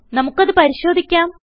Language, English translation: Malayalam, Lets check it